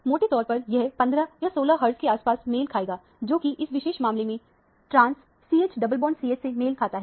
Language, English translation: Hindi, So, roughly, this would correspond to somewhere around 15 or 16 hertz, which corresponds to the trans CH double bond CH in this particular case